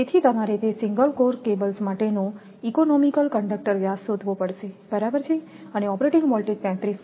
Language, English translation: Gujarati, So, you have to find out that most economical conductor diameter for single core cables right and operating voltage is 33kV